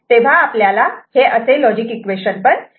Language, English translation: Marathi, So, this is the corresponding equation